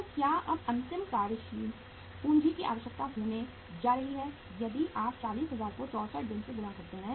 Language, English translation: Hindi, So what is going to be now the final working capital requirement if you are multiplying the 40000 by 64 days